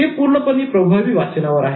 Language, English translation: Marathi, It was completely on effective reading